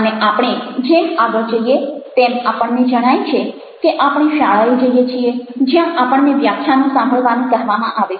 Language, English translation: Gujarati, and as we proceed, we find that we go to schools where we are ask to listen lectures